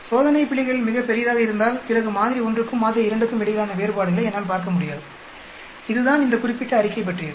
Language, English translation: Tamil, If the experimental errors are very large then I will not be able to see variations between sample 1 and sample 2, that is what this particular statement is all is about